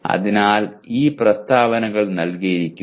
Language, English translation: Malayalam, So these are the statements given